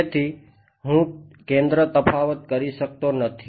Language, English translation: Gujarati, So, I cannot do centre difference